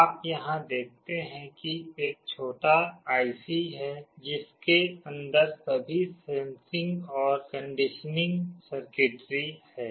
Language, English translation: Hindi, You see here there is a small IC that has all the sensing and conditioning circuitry inside it